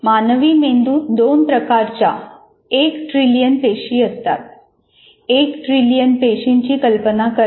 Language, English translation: Marathi, Human brain has one trillion cells of two types